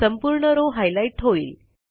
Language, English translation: Marathi, The entire row gets highlighted